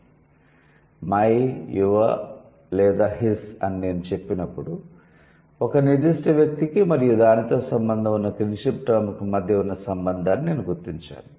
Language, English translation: Telugu, When I say my, your or his, so that means I'm identifying the relation between a particular person and the kinship term associated with it